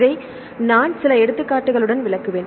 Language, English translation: Tamil, Just I will explain with this with few examples